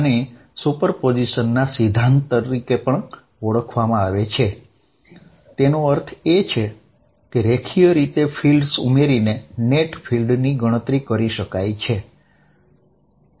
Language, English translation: Gujarati, This is also known as principle of superposition; that means, the net field can be calculated by adding fields in a linear manner